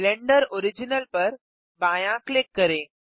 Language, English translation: Hindi, Left click Blender original